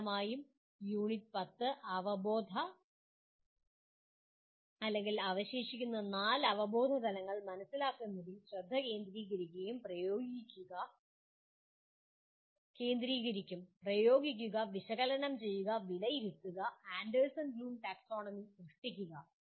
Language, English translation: Malayalam, Mainly the Unit 10 will focus on understanding the cognitive/ remaining four cognitive levels, Apply, Analyze, Evaluate, and Create of Anderson Bloom Taxonomy